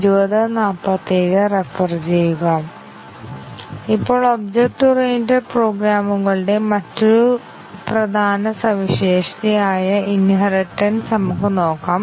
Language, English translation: Malayalam, Now, let us look at another important feature of object oriented programs which is inheritance